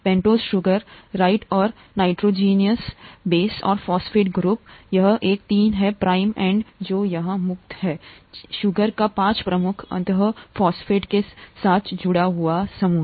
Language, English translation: Hindi, The pentose sugar, right, and the nitrogenous base and the phosphate group to, this is a three prime end which is free here, the five prime end of the sugar is attached with the phosphate group